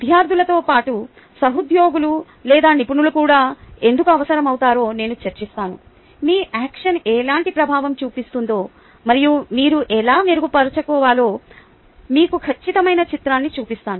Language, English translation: Telugu, i will discuss why colleagues or experts are also required, apart from students right to gives you an accurate picture of ah, what impact your action has had and how you can improved